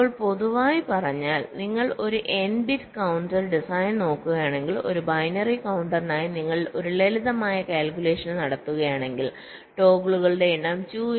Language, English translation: Malayalam, now, in general terms, if you look at an n bit counter design for a binary counter, if you make a simple calculation, the number of toggles can be calculated as two into two to the power n minus one